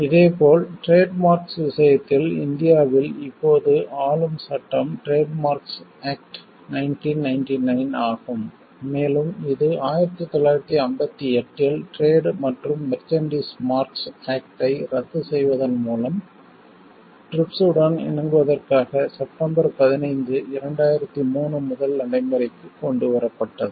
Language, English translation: Tamil, Similarly, in the case of trademarks, the governing law in India now is Trade Marks Act 1999 and this was brought into force with effect from September 15, 2003 to bring it in compliance with TRIPS by repealing the trade and Merchandise Marks Act in 1958